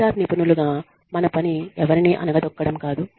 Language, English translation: Telugu, Our job, as HR professionals, is not to put down, anyone